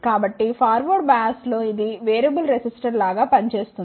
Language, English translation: Telugu, So, in the forward bias it will act like a variable resistor